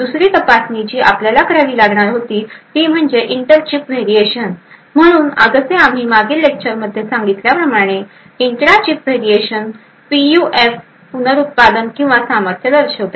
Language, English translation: Marathi, Another check which we also require was the intra chip variation, so as we mentioned in the previous lecture the intra chip variation shows the reproducibility or the robustness of a PUF